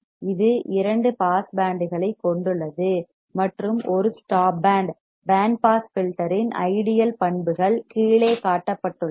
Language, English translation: Tamil, It has two pass bands and one stop band the ideal characteristics of band pass filter are shown below